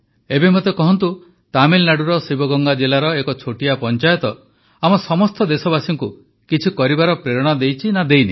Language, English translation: Odia, Now tell me, a small panchayat in Sivaganga district of Tamil Nadu inspires all of us countrymen to do something or not